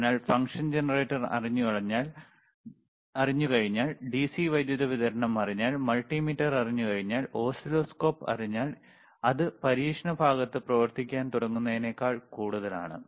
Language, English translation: Malayalam, So, once you know function generator, once you know DC power supply, once you know multimeter, once you know oscilloscope, once you know variable actually that is more than enough for you to start working on the experiment part, all right